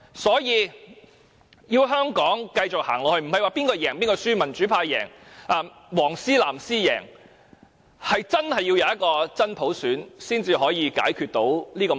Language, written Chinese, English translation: Cantonese, 所以，要香港繼續走下去，不是說誰勝誰負，民主派勝、"黃絲"、"藍絲"勝，而是真的要有真普選，才可以解決這個問題。, As a result if Hong Kong keeps on moving it does not matter who is the winner no matter the pro - democracy camp wins the yellow ribbon wins the blue ribbon wins . What matters is that we should have genuine universal suffrage if we are to solve this problem